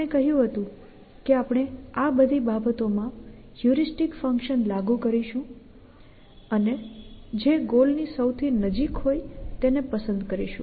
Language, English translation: Gujarati, We said that we will apply the heuristic function to all these things and choose the 1 with sees to be closes to the goal